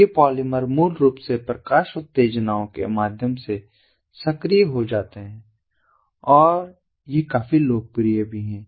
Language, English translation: Hindi, these polymers basically get activated through light stimuli and ah these are also quite ah popular